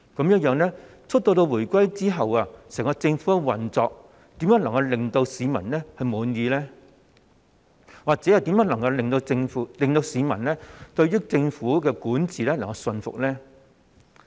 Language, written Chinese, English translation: Cantonese, 因此自回歸後，整個政府的運作又怎會令市民感到滿意，或怎會令市民對政府的管治感到信服呢？, As a result how can the public be possibly satisfied with the operation of the entire Government after the reunification? . How can the public have confidence in the governance of the Government at all?